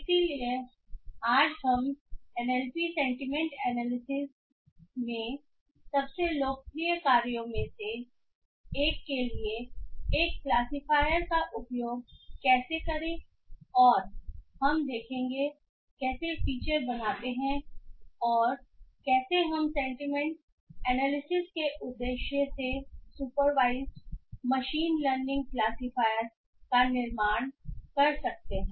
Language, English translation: Hindi, So, today will be looking into how to use or how to build a classifier for one of the most popular tasks in NLP sentiment analysis and we will look in how we create features and how we can build a supervised machine learning classifier for the purpose of sentiment analysis